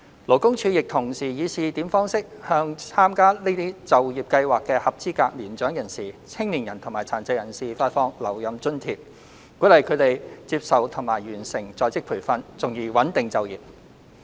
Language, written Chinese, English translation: Cantonese, 勞工處亦同時以試點方式，向參加這些就業計劃的合資格年長人士、青年人及殘疾人士發放留任津貼，鼓勵他們接受及完成在職培訓，從而穩定就業。, LD also launched a pilot scheme concurrently to encourage eligible elderly persons young people and persons with disabilities to participate in and complete OJT under the above employment programmes through the provision of a retention allowance thereby stabilizing employment